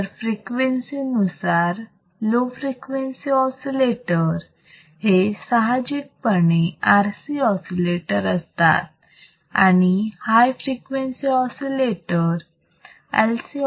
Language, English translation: Marathi, So, based on frequency if the low frequency oscillator generally it will be RC oscillators if the high frequency oscillators it would be LC oscillators